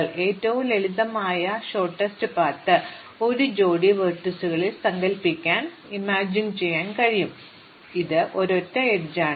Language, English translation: Malayalam, So, the simplest shortest path you can imagine in a pair of vertices it is just a single edge